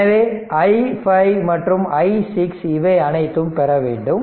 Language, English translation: Tamil, So, this is i 5 and i 6 that all this things, you have to obtain